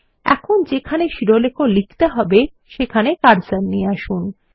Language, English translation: Bengali, Now let us bring the cursor to where we need to type the heading